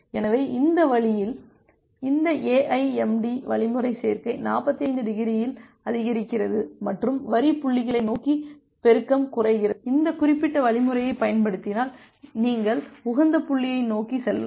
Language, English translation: Tamil, So, that way this AIMD algorithm additive increase up at 45 degree and multiplicative decrease towards the line points to origin, if you apply this particular algorithm, you can converge towards the optimal point